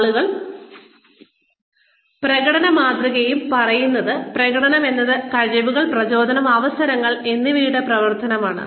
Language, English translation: Malayalam, People and performance model says that, performance is a functional, is a function of abilities, motivation, and opportunities